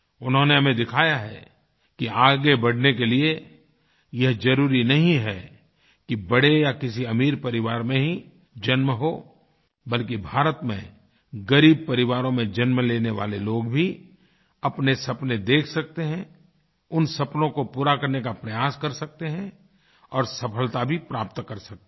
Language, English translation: Hindi, He showed us that to succeed it is not necessary for the person to be born in an illustrious or rich family, but even those who are born to poor families in India can also dare to dream their dreams and realize those dreams by achieving success